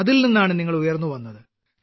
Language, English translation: Malayalam, You emerged out of that